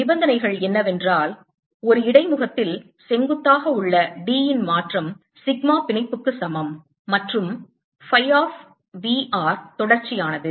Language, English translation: Tamil, and the boundary conditions are that change in d perpendicular about an interface is equal to sigma bond and phi of v